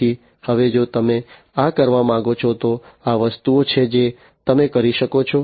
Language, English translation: Gujarati, So, now if you want to do this, these are the things that you can do